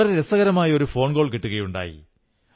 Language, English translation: Malayalam, I have received a very interesting phone call